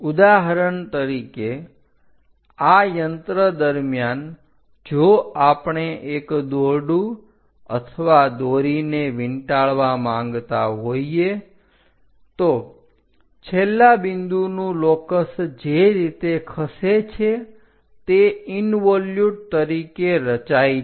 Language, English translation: Gujarati, For example, like during these machines if you want to wind a rope or thread on reels thread reels the locus of the end point thread the way how it moves that will be constructed or represents in involute